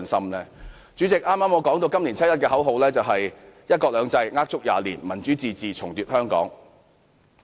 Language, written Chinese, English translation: Cantonese, 代理主席，正如我剛才所說，今年七一遊行的口號是"一國兩制呃足廿年；民主自治重奪香港"。, Deputy President as I said just now the slogan of this years 1 July march is One country two systems a lie of 20 years; Democratic self - government retake Hong Kong